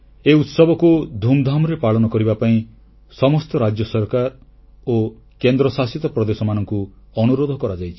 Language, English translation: Odia, All states and Union Territories have been requested to celebrate the occasion in a grand manner